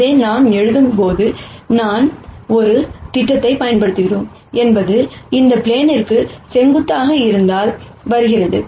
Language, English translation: Tamil, Notice that while we write this, the fact that we are using a projection comes from this n being perpendicular to the plane